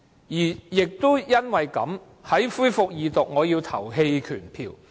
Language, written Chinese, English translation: Cantonese, 因此，在《條例草案》恢復二讀時，我要投棄權票。, Thus when we resumed the Second Reading of the Bill I abstained from voting